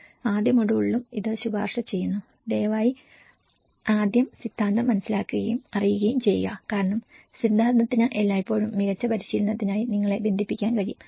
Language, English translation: Malayalam, In the first module and this recommends, please understand and know the theory first, that will because theory always can connect you to for a better practice